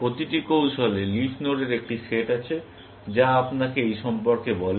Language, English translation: Bengali, Every strategy has a set of leaf nodes, which tell you about this